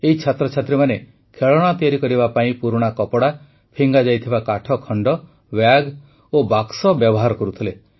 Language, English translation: Odia, These students are converting old clothes, discarded wooden pieces, bags and Boxes into making toys